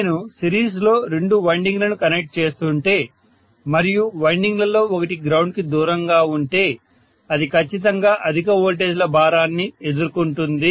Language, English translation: Telugu, So if I am connecting two windings in series and one of the winding is away from the ground, it is definitely going to bear the brunt of higher voltages